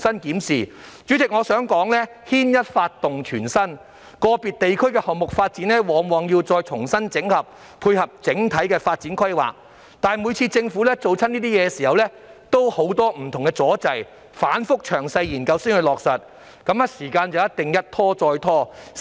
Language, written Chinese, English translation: Cantonese, 代理主席，我想指出，牽一髮動全身，個別地區的項目發展往往要重新整合，以配合整體的發展規劃，但每次政府進行這些工作時也遇到很多不同阻滯，需經反覆詳細研究才落實，於是時間上一定是一拖再拖。, Development projects of individual areas often need to be consolidated to tie in with the overall development planning . However the Government always encounters various difficulties when carrying the relevant work and has to conduct detailed studies time and again before implementation . This would certainly result in delays in timing